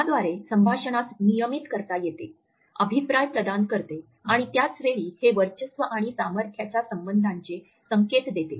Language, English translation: Marathi, It also regulates conversation by providing feedback etcetera and at the same time it also gives cues of dominance and power relationship